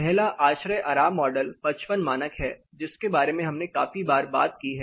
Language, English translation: Hindi, The first thing is ASHRAE comfort model, 55 standard, 55 have been talking about standard 55 for you know quite a few times in the lectures